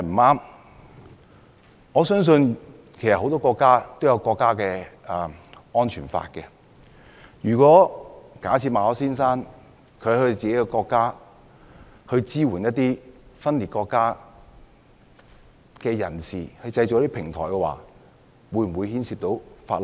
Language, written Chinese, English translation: Cantonese, 我相信很多國家也有安全法，如果馬凱先生在自己國家支援分裂國家人士，為他們製造平台，會否觸犯法例？, I believe that many countries have security laws; will Mr MALLET breach the law if he supports the separatists in his own country and creates a platform for them?